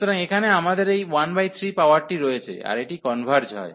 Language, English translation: Bengali, So, here we have this power 1 by 3, so this converges